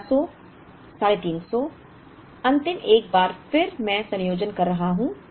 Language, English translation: Hindi, So, 1300 350, the last one again I am combining